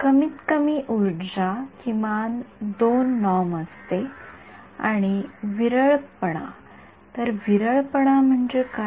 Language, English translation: Marathi, Least energy is minimum 2 norm and sparsity; so, what is sparsity means